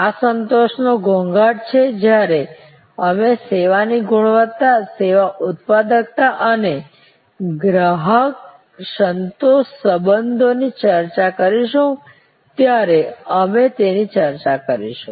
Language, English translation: Gujarati, These are nuances of satisfaction we will discuss that when we discuss service quality, service productivity and customer satisfaction relationships